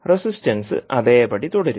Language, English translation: Malayalam, And the resistance will remain the same